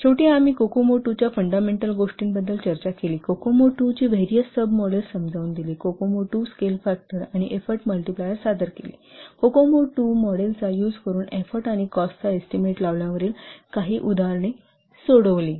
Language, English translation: Marathi, So finally we have discussed the fundamentals of Kokomo 2, explained the various sub models of Kokomo 2, presented the Kokomo 2 scale factors and effort multipliers, solved some examples on estimating import and cost using Kokomo 2 model